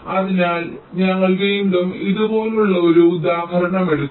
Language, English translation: Malayalam, so we again take an examples like this